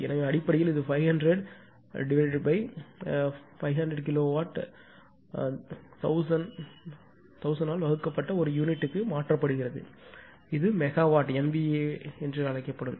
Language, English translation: Tamil, So, basically it is 500 divide this is a these are been converted to per unit divided by your 500 ah k kilowatt divided by 1000; it will be megawatt divided by MVA base